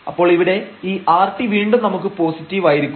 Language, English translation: Malayalam, So, this time now this rt minus s square is negative